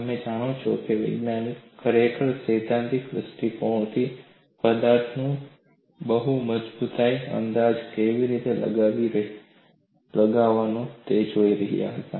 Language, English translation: Gujarati, You know scientists were really looking at how to estimate strength of the material from a theoretical stand point